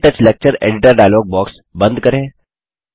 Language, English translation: Hindi, Let us close the KTouch Lecture Editor dialogue box